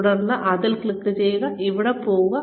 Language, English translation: Malayalam, And then, click on this, and go here